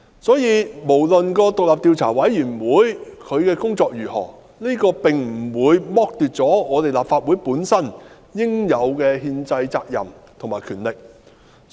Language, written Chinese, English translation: Cantonese, 因此，不論有關獨立調查委員會的工作如何，這並不會剝奪立法會應有的憲制責任和權力。, Hence the Legislative Council will not be deprived of its powers and due constitutional duty because of the work of the independent Commission of Inquiry